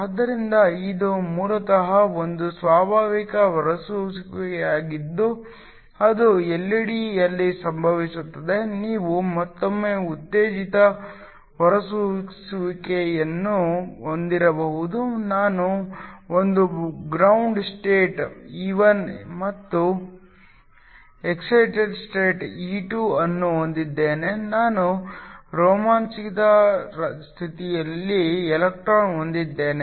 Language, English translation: Kannada, So, This is basically a spontaneous emission which occurs in an LED, you can also have stimulated emission once again I have a ground state E1 and an excited state E2, I have an electron in the excited state